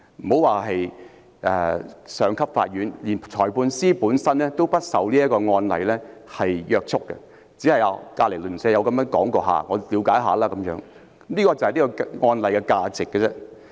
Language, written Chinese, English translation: Cantonese, 莫說是上級法院，連裁判法院本身亦不受這個案例約束，就好像鄰居曾經這樣說過，我便了解一下，僅此而已，這就是此案例的價值。, These cases are non - binding not just for courts of higher instances but even for other Magistrates Courts not unlike learning about what your neighbours have said and that is all